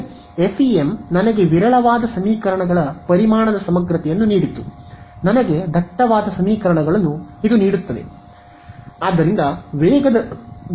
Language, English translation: Kannada, Right, FEM gave me a sparse system of equations volume integral give me a dense system of equations